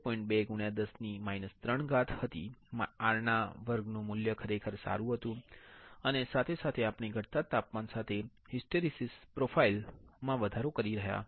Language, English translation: Gujarati, 2 into 10 to power minus 3 per degree centigrade, R square value was really good and as well as the we had done some hysteresis profile increasing temperature with decreasing temperature